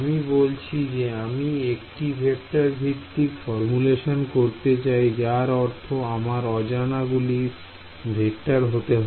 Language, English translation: Bengali, I said I wanted to do a vector based formulation; that means, my unknowns wanted needed to be vectors